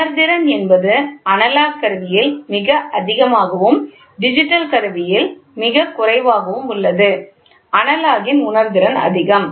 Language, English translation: Tamil, The resolution of the analog instrument is less and the resolution of the digital is more